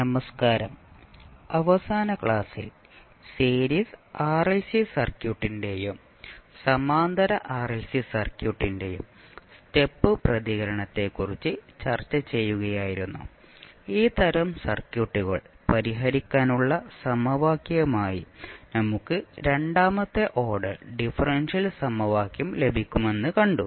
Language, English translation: Malayalam, So, in the last class we were discussing about the step response of series RLC circuit and the parallel RLC circuit and we saw that when we solve these type of circuits we get second order differential equation as a equation to solve